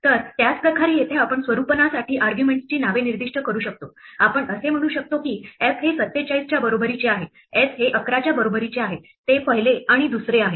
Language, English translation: Marathi, So, in same way here we can specify names of the arguments to format, we can say f is equal to 47, s is equal to 11, that is first and second